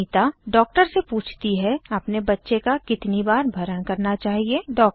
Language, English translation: Hindi, Anita asks the doctor, How often should I feed my baby.